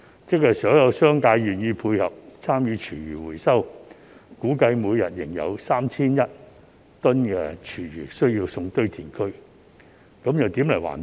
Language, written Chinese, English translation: Cantonese, 即使所有業界願意配合參與廚餘回收，估計每天仍有 3,100 公噸廚餘需要送往堆填區，這又何來環保？, Even if all sectors are willing to cooperate by participating in food waste recycling it is estimated that 3 100 tonnes of food waste still need to be sent to landfills each day . So how can environmental protection be achieved?